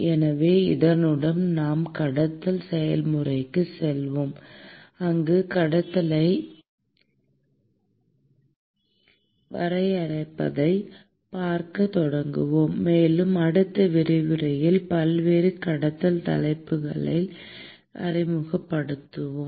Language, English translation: Tamil, So, with this we will move onto the conduction process, where we will start looking at defining conduction, and we look at introducing various conduction topics in the next lecture